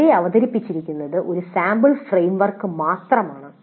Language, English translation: Malayalam, So what is presented here is just a sample framework only